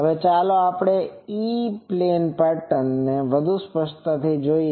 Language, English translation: Gujarati, Now, let us now look more closely this E plane pattern